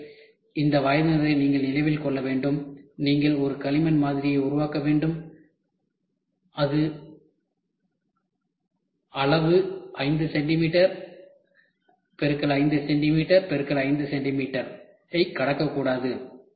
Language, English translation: Tamil, So, this age group you have to keep in mind, you have to make a clay model which the dimension should not cross 5 centimetre cross 5 centimetre cross 5 centimetre